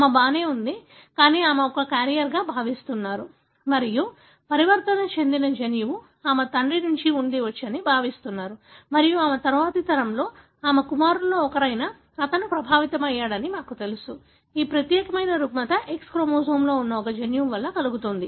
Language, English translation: Telugu, She was all right, but she is expected to be a carrier and it is sort of perceived that the mutant gene could have come from her father and you can see in her next generation, one of her sons, he was affected and we know now that this particular disorder is caused by a gene that is located on the X chromosome